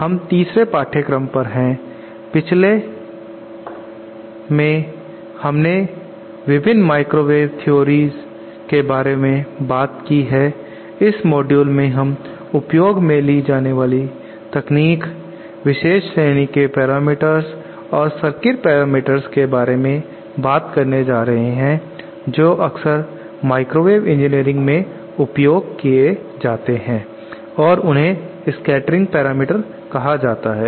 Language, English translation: Hindi, In the last class we have talked a lot about the various microwave theories, the techniques used in this module we are going to talk about a special class of parameters, circuit parameters that are frequently used in microwave engineering and they are called scattering parameters